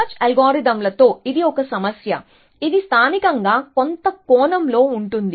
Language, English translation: Telugu, So, this is the one problem with search algorithms, which are local in some sense essentially